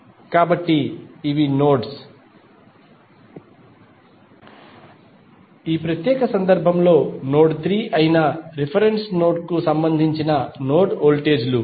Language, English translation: Telugu, So, these would be the nodes, node voltages with respect to the reference node that is node 3 in our particular case